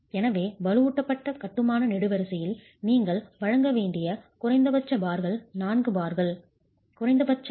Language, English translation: Tamil, So, the minimum number of bars that you should provide in a reinforced masonry column is 4 bars, minimum percentage being 0